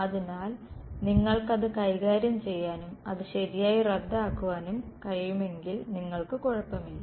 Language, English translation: Malayalam, So, if you can deal with that and cancel it off correctly then you will be fine